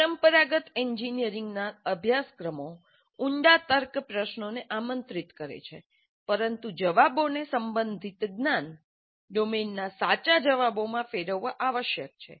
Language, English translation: Gujarati, The traditional engineering courses invite deep reasoning questions, but the answers must converge to true within court's in the relevant knowledge domain